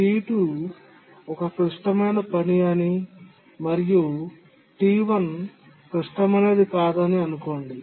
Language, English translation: Telugu, Now assume that T2 is a critical task and T1 is not so critical